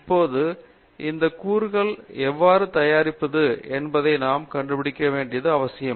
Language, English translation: Tamil, Now, it is necessary for us to figure out, how to actually manufacture this component